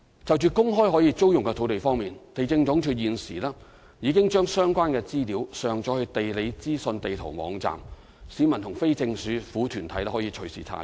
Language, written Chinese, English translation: Cantonese, 就在公開可租用的土地方面，地政總署現時已將相關資料上載至"地理資訊地圖"網站，市民及非政府團體可以隨時查閱。, Regarding making public vacant sites available for lease the Lands Department has already uploaded the information onto the GeoInfo Map . Members of the public and non - governmental organizations can check the information anytime